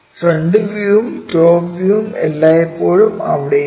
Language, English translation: Malayalam, The front view always be that the top view always be there